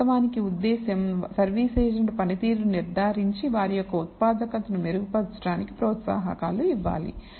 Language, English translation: Telugu, So, the purpose is to actually judge the service agent performance and do performance incentives in order to improve productivity of these agents